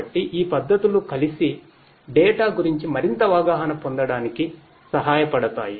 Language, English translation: Telugu, So, these techniques together can help in getting more insights about the data